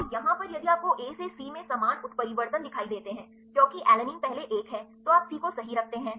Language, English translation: Hindi, So, here if you see the same mutations A to C, because alanine is the first one then you put C right